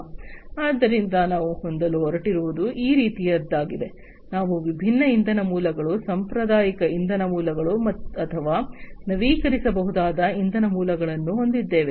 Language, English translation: Kannada, So, what we are going to have is something like this, we are going to have different energy sources, traditional energy sources, or the renewable energy sources